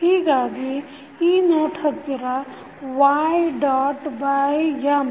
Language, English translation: Kannada, So, at this note will be y dot by M